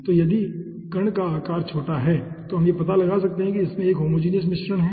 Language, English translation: Hindi, so if the particle sizes are slow, small, then we can find out that it is having a homogeneous mixture